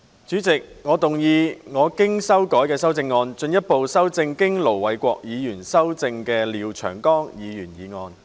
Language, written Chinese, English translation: Cantonese, 主席，我動議我經修改的修正案，進一步修正經盧偉國議員修正的廖長江議員議案。, President I move that Mr Martin LIAOs motion as amended by Ir Dr LO Wai - kwok be further amended by my revised amendment